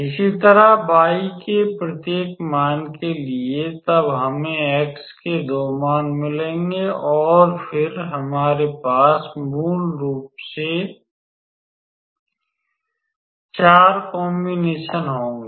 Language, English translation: Hindi, Similarly, for each value of y then we will get 2 values of x and then we have basically 4 combinations